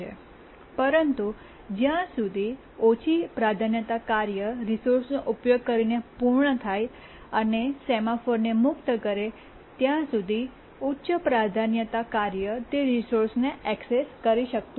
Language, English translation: Gujarati, But until the low priority task actually completes using the resource and religious the semaphore, the high priority task cannot access the resource